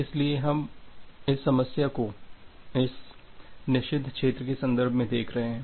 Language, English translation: Hindi, So, we are looking into this problem from the context of this forbidden region